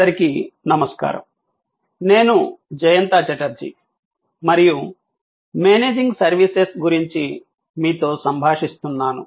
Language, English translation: Telugu, Hello, I am Jayanta Chatterjee and I am interacting with you on Managing Services